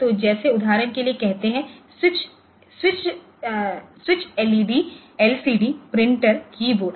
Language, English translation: Hindi, So, examples like say switches LED, LCD, printer, keyboard, keypad